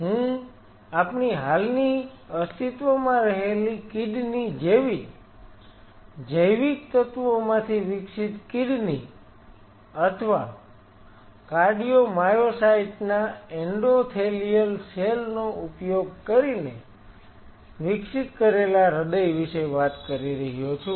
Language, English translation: Gujarati, I am talking about kidney developed from biological elements very similar to our existing kidney or a heart developed using cardio myocytes endothelial cells so and so forth, that is where the future is